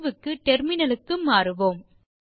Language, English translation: Tamil, Switch to the terminal for solution